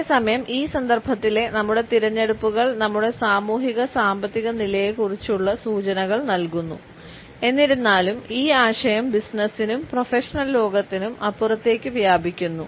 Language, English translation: Malayalam, At the same time our choices in this context convey clues about our socio economic status, however the idea extends beyond the business and the professional world